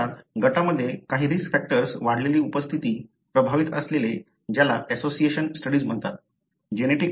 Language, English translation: Marathi, You see, the increased presence of certain risk factor in the group, the affected, so that is called as association studies